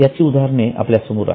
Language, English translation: Marathi, Now, examples are also in front of you